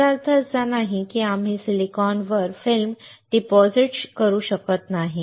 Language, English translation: Marathi, That does not mean that we cannot deposit film on silicon